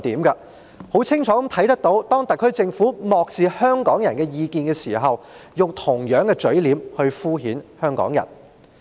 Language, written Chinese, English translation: Cantonese, 我們很清楚看到，當特區政府漠視香港人的意見時，是用同樣的嘴臉敷衍香港人。, We can see clearly that the SAR Government has adopted the same attitude when ignoring Hongkongers opinions and dealing with their demands perfunctorily